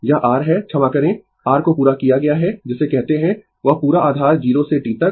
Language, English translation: Hindi, That is your sorry completed the your what you call that complete base from 0 to T